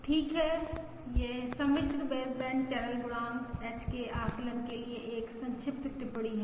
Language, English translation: Hindi, Okay, that is a brief note for the estimation of the complex baseband channel coefficient, H